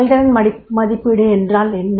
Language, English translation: Tamil, So what is the performance appraisal